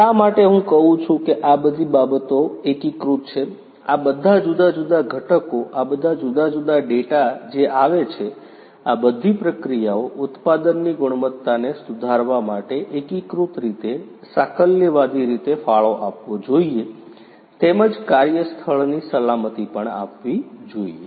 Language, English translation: Gujarati, Why I say integrated is all of these things will have to be interconnected, all these different components, all these different data that are coming, all these should contribute in a holistic manner in an integrated manner in order to improve the processes, the product quality as well as the work place safety